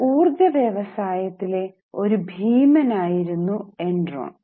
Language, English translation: Malayalam, Now, Enron was an energy giant